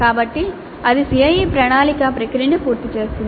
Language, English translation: Telugu, So that completes the CIE plan process